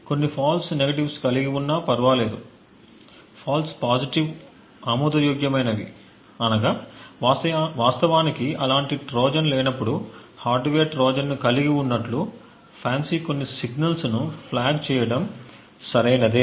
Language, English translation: Telugu, It is okay to have a few false positives, rather the false positives are acceptable this means that it is okay for FANCI to flag a few signals to as having a hardware Trojan when indeed there is no such Trojan present in them